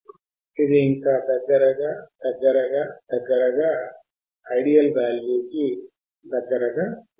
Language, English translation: Telugu, It will just go down come closer and closer and closer